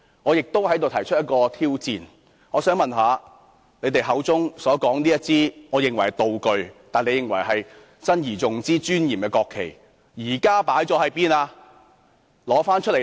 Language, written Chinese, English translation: Cantonese, 我亦想在此提出一項挑戰，我想問他們口中所說這面我認為是道具，但他們認為是要珍而重之和很莊嚴的國旗，現時究竟擺放在哪裏？, I would also like to throw down the gauntlet here where are now those what I consider props but they consider solemn national flags to be treasured?